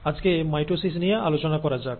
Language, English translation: Bengali, Today, let us talk about mitosis